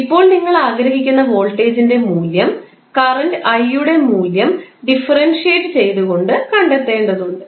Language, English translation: Malayalam, Now, voltage value you will have to find out by simply differentiating the value of current i